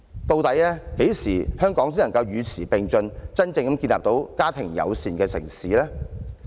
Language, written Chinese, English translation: Cantonese, 究竟何時香港才能與時並進，真正成為一個家庭友善的城市呢？, When may I ask will Hong Kong eventually be able to keep abreast with the times and become a genuine family - friendly city?